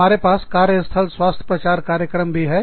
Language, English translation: Hindi, We also have, workplace health promotion programs